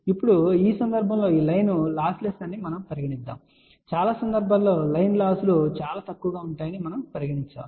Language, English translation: Telugu, Now, in this particular case here we are assuming that this line is loss less or we can say most of the time line losses will be very very small